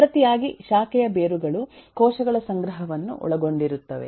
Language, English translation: Kannada, In turn, branch roots will be comprising a collection of cells